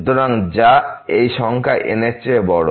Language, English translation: Bengali, So, which is a bigger than this number as well